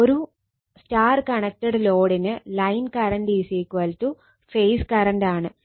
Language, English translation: Malayalam, For a star connected load line current is equal to phase current